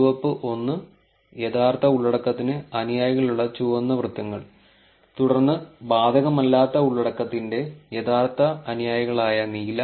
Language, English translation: Malayalam, Then the red one, red circles which had the followers to the true content, and then the blue one which is actually the followers for the not applicable content